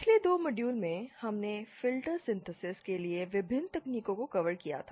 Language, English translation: Hindi, In the previous 2 modules we had covered the various techniques for filter synthesis